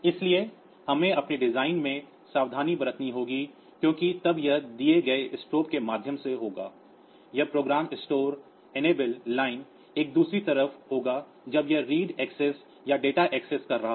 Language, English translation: Hindi, So, we have to be careful in our design because then it will be through the stroke given will be on the this program store enabled line on the other hand when it is doing the read access or if data access